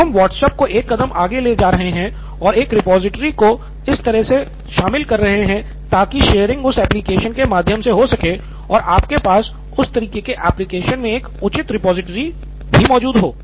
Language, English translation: Hindi, Now we are taking WhatsApp one step further and incorporating a repository like this into some that kind of an application so that sharing can happen through that application and you have a proper repository existing in that kind of an application